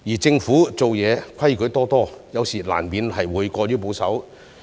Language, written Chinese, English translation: Cantonese, 政府做事則規矩多多，有時候難免過於保守。, By contrast the Government is bound by red tape and conservative at times